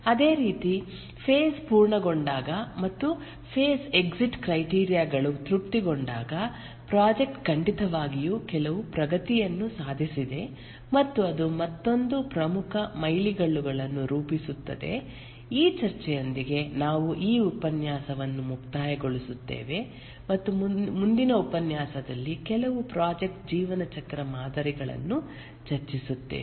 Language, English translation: Kannada, When there is a phase starts after the phase entry criteria has been met an important milestone is met similarly when the phase completes and the exit criteria are satisfied the project definitely has made some progress and that forms another important milestone with this discussion we will conclude this lecture and in the next lecture we will discuss a few project lifecycle models